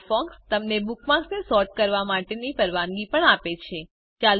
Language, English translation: Gujarati, Firefox also allows you to sort bookmarks